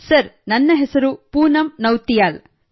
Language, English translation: Kannada, Sir, I am Poonam Nautiyal